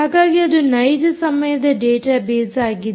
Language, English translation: Kannada, basically, this is a real time database